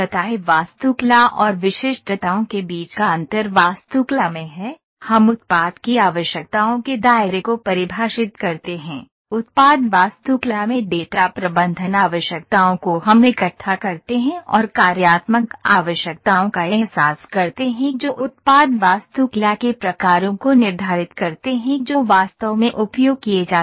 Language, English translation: Hindi, The difference between architecture and specifications is in architecture we define the product requirements scope gather the data manage requirements in product architecture we translate and realise the functional requirements determine the types of product architecture that can be used actually